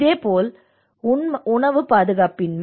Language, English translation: Tamil, And similarly the food insecurity